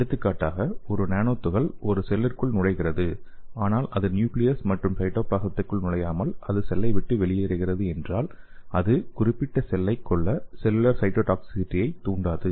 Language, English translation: Tamil, For example if a nanoparticle is entering into a cell okay and it is not entering to the nucleus and cytoplasm and it is leaving the cells intact then it would not induce cellular cytotoxicity to kill the particular cell okay